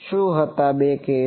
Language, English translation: Gujarati, What was the two cases